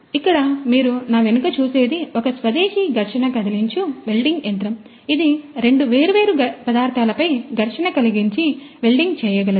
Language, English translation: Telugu, So, behind me what you see over here is a is an indigenous friction stir welding machine which can do friction stir welding on two different materials